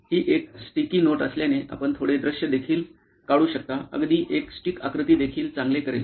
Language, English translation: Marathi, Since it is a sticky note you can also draw little visuals even a stick figure would do fine